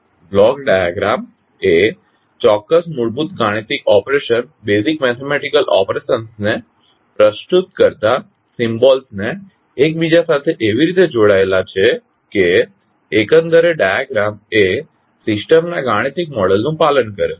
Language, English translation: Gujarati, So Block diagram is an interconnection of symbols representing certain basic mathematical operations in such a way that the overall diagram obeys the systems mathematical model